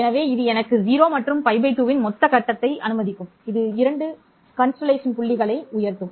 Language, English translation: Tamil, So, this will allow me a total phase of 0 and pi by 2, giving rise to the 2 constellation points